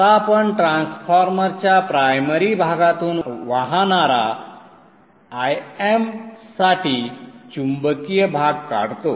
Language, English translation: Marathi, Now let me draw the magnetizing part for a M that is flowing through the primary of the transformer